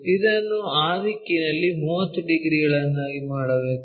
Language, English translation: Kannada, This one we have to make it 30 degrees in that direction